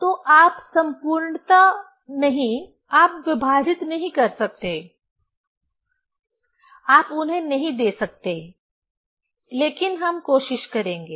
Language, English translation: Hindi, So, you cannot perfectly, you cannot divide, you cannot give them, but we will try